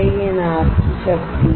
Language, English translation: Hindi, This is the power to the boat